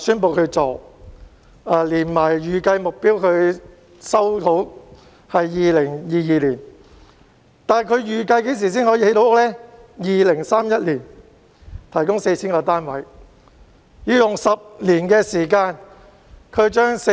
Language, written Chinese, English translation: Cantonese, 房委會預計在2022年收回土地，但房屋預計在2031年才可以落成，提供 4,000 個單位。, HA expects to resume the land in 2022 but the project will not be completed to provide 4 000 housing units until 2031